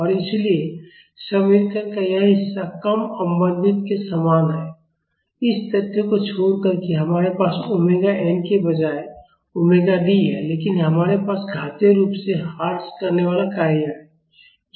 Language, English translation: Hindi, And, so, this part of the equation is similar to the undamped vibration except the fact that we have omega D instead of omega n, but we have an exponentially decaying function multiplied to it